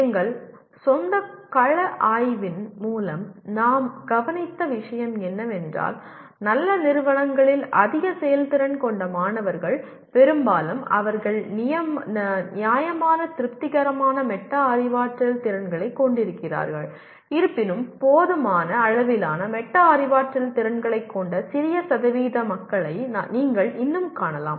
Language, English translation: Tamil, What we observed through our own field study is that high performing students in good institutions, mostly they have possibly reasonably satisfactory metacognitive skills though you will still find small percentage of people with inadequate metacognitive skills